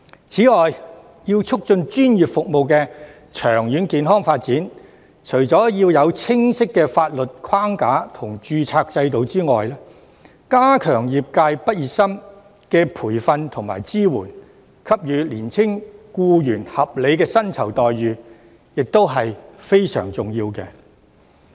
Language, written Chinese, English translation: Cantonese, 此外，為促進專業服務的長遠健康發展，除了要有清晰的法律框架和註冊制度外，加強對業界畢業生的培訓和支援，並給予年輕僱員合理的薪酬待遇，也是非常重要的。, On the other hand to promote the healthy development of professional services in the long run apart from establishing specific legal framework and registration system it is also very important to enhance the training and support of graduates in the industry and provide reasonable remuneration to the young employees